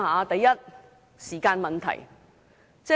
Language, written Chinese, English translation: Cantonese, 第一，時間問題。, First there is the problem of time